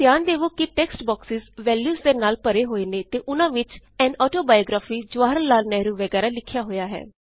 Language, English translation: Punjabi, Notice that the text boxes are filled with values, that read An autobiography, Jawaharlal Nehru etc